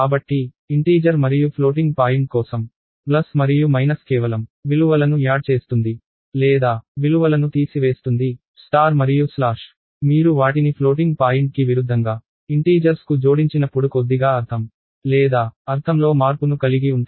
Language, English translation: Telugu, So, plus and minus for integer and floating point will just add the values or subtract the values, star and slash have a little bit of meaning or a change in meaning when you attach them to integers as opposed to floating point